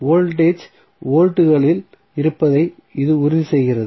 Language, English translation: Tamil, So, that voltage would remain in volts